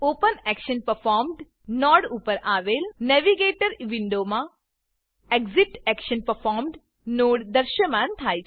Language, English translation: Gujarati, The ExitActionPerformed node appears in the Navigator window above the OpenActionPerformed() node